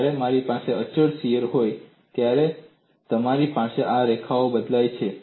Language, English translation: Gujarati, When I have constant shear, you have these lines changed